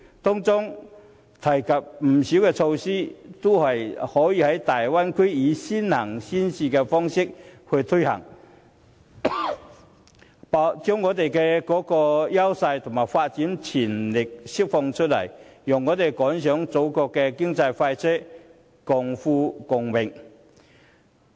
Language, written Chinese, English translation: Cantonese, 該協議提及的不少措施，都可以在大灣區以先行先試的方式推行，把香港的優勢及發展潛力釋放出來，讓我們趕上祖國的經濟快車，共富共榮。, Many of the measures proposed in the Ecotech Agreement can actually be introduced in the Bay Area under the early and pilot implementation approach to unleash the advantages and potential of Hong Kong . We can then board the economic express rail of our country and share the fruits of economic prosperity